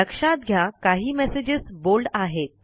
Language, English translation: Marathi, Notice that some messages are in bold